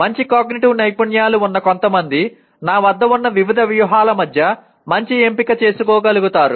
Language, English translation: Telugu, Some people with good metacognitive skills are able to make a better choice between the various strategies that I have